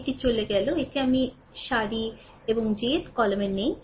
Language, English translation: Bengali, This is gone say, this is not there ith row and jth column